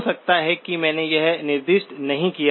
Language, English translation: Hindi, May be I did not specify that